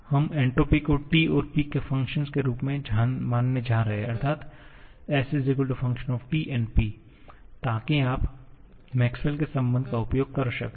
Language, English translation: Hindi, We are going to consider entropy s as the function of T and P, so that you can make use of the Maxwell’s relation